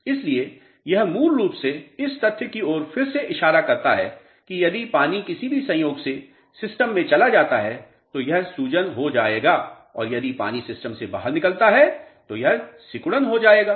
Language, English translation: Hindi, So, this basically again points out to the fact that if water moves into the system by any chance, this would be swelling and if water comes out of the system, this is going to be shrinkage